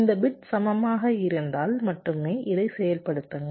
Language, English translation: Tamil, only if this bits are equal, then only you activate this